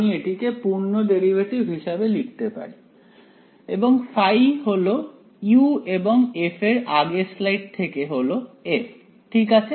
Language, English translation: Bengali, I can write it as total derivatives and my phi is u and f from the previous slide is capital F ok